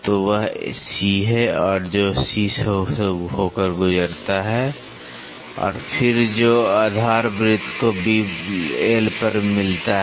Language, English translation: Hindi, So, that is C which passes through C and then which meets the base circle at L